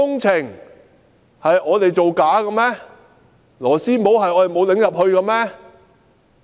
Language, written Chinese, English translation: Cantonese, 是我們沒有把螺絲帽扭進去嗎？, Are we the ones who did not screw in the couplers?